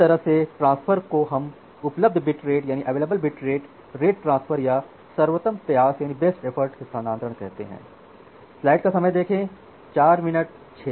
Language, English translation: Hindi, So, that kind of transfer we call it as available bit rate transfer or Best Effort transfer